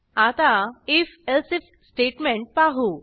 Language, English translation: Marathi, Lets look at the if elsif statement next